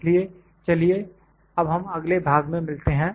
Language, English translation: Hindi, So, let us meet in the next part